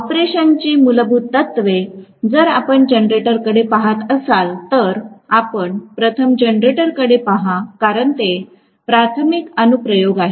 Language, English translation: Marathi, The basic principles of operation, if you look at for a generator, let me first of all, look at the generator because that is the primary application